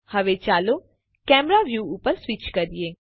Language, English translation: Gujarati, Now, lets switch to the camera view